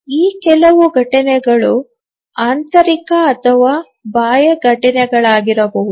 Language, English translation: Kannada, Some of these events may be internal events or may be external events